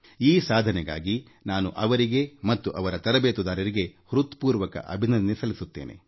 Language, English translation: Kannada, I extend my heartiest congratulations to him and his coach for this victory